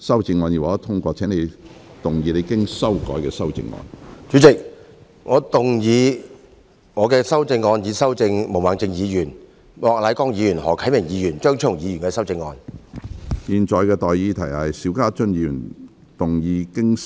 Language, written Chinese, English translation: Cantonese, 主席，我動議我經修改的修正案，進一步修正經毛孟靜議員、莫乃光議員、何啟明議員及張超雄議員修正的李慧琼議員議案。, President I move that Ms Starry LEEs motion as amended by Ms Claudia MO Mr Charles Peter MOK Mr HO Kai - ming and Dr Fernando CHEUNG be further amended by my revised amendment